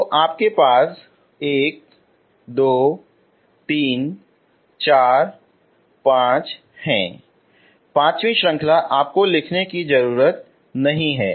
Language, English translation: Hindi, So you have one, two, three, four, fifth, fifth series you do not have to write